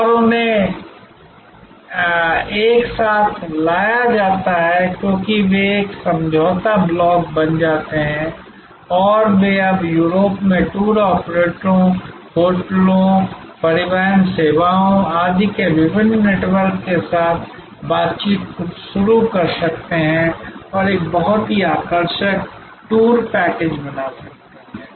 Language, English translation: Hindi, And they are brought together this they become a negotiating block and they can now start negotiating with different networks of tour operators, hotels, transport services and so on in Europe and can create a very attractive tour package